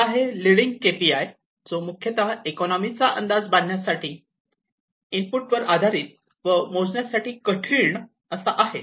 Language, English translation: Marathi, One is the leading KPI, and it is mainly used to predict the economy, it is input oriented, and is hard to measure